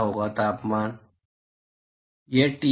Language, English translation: Hindi, What will be, the what will be the temperature